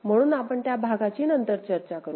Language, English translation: Marathi, So, that part we shall take, discuss later